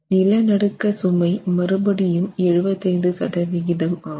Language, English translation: Tamil, For the earthquake load, we will take 75% again of the earthquake load